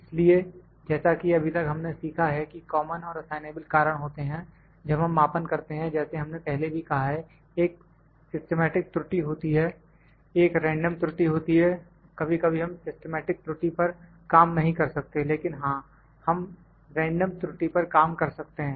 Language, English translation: Hindi, So, as we have learned so far that there are common and assignable causes, when we do measurement as we said, there is a systematic error, there is a random error, systematic error sometimes we cannot work on, but yes we have working on the random error